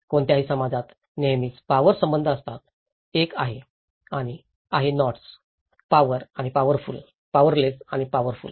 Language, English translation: Marathi, In any community, there always a power relations; one is have and have nots, power and powerful; powerless and powerful